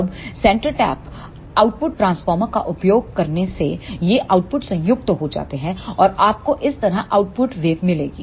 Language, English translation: Hindi, Now, using the centre tapped output transformer these outputs are combined and you will get the output waveform like this